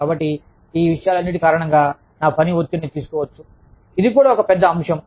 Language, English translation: Telugu, So, because of all of these things, my work, can be take on the stress, is also a big factor